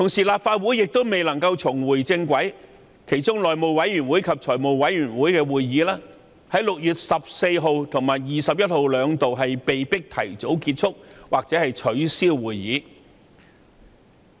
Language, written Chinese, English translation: Cantonese, 立法會亦同樣未能重回正軌，內務委員會及財務委員會於6月14日及21日的會議兩度被迫提早結束或取消。, As for the Legislative Council it is not back on track either . The House Committee and the Finance Committee FC were forced to have their two meetings ended prematurely or cancelled on 14 and 21 June respectively